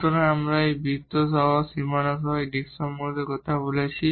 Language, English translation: Bengali, So, we are talking about this disc including the boundaries including this circle here